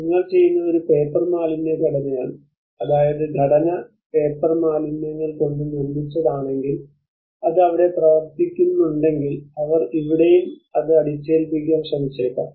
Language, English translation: Malayalam, You are doing with a paper waste structure I mean if the structure is made of paper waste if it is worked out there then they might try to impose this here as well